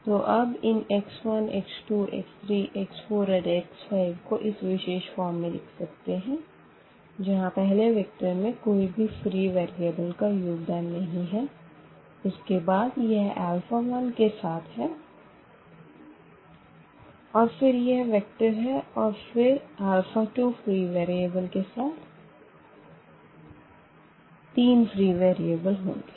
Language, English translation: Hindi, So, we can write down now these x 1, x 2, x 3, x 4 and x 5 in this particular form where we have first vector free from these free variables and then this is with alpha 1, the one free variable the vector again coming here and x 2 again this free vector with this three variable again this vector is coming up